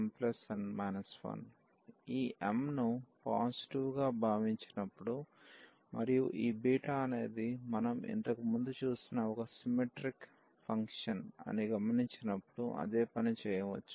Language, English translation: Telugu, So, same thing we can do when we assume this m to be positive and noting that this beta is a symmetric function which we have just seen before